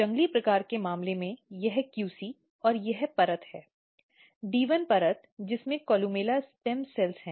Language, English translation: Hindi, So, as you can see in the wild type case, this is QC and this layer, the D 1 layer which has columella stem cells